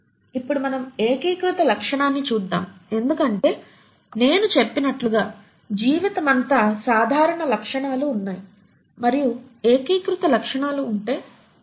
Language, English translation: Telugu, Now let us look at the unifying feature because as I said there are common features across life and what as that unifying features